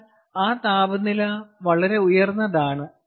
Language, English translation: Malayalam, but that high temperature is very high